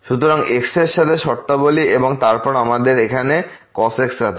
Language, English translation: Bengali, So, terms with terms with x and then we have here